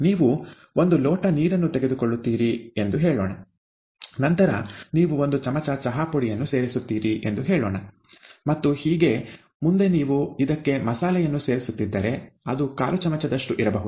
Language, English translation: Kannada, You need to know that you take, let us say, a cup of water, then you add, let us say, a teaspoon of tea powder, and if you are adding any masala to it, may be about a quarter teaspoon of it and so on and so forth